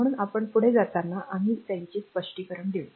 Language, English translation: Marathi, So, we will explain them as you proceed